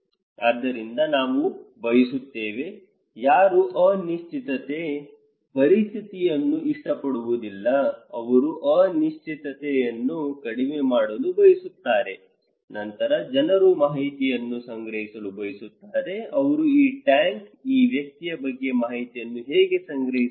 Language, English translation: Kannada, So, we would like to; no one likes uncertain situation, they want to minimise the uncertainty so, then people would like to collect information, how they can collect information about this tank, this person